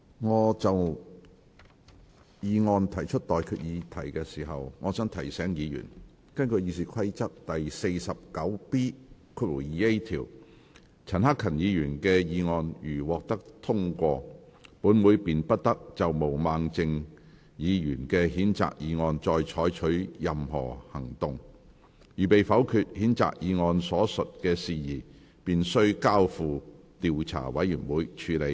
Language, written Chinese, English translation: Cantonese, 我就議案提出待決議題之前，我想提醒議員，根據《議事規則》第 49B 條，陳克勤議員的議案如獲得通過，本會便不得就毛孟靜議員的譴責議案再採取任何行動；如被否決，譴責議案所述的事宜便須交付調查委員會處理。, Before I put to you the question on the motion I wish to remind Members that according to Rule 49B2A of the Rules of Procedure if Mr CHAN Hak - kans motion is passed the Council shall not take any further action on Ms Claudia MOs censure motion; if it is negatived the matter stated in the censure motion shall be referred to an investigation committee